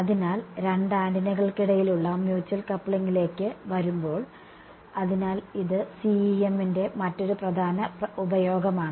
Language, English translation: Malayalam, So coming to the Mutual Coupling between two antennas ok; so, this is another major application of CEM right